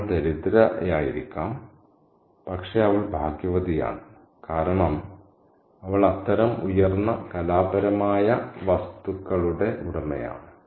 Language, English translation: Malayalam, She could be poor, but she is lucky because she is the possessor of such higher artistic objects